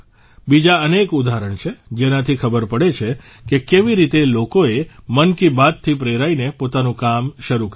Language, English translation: Gujarati, There are many more examples, which show how people got inspired by 'Mann Ki Baat' and started their own enterprise